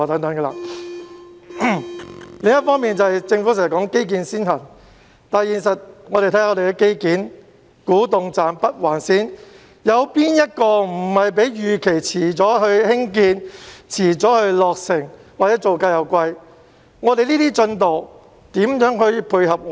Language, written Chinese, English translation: Cantonese, 另一方面，政府經常說基建先行，但實際上，看看香港的基建，例如古洞站和北環線，哪個項目的興建和落成不是較預期遲，又或造價高昂。, On the other hand the Government keeps stressing the principle of prioritizing infrastructure development . But in reality looking at the infrastructure works in Hong Kong such as Kwu Tung Station and Northern Link the construction and completion were behind schedule and involved high construction costs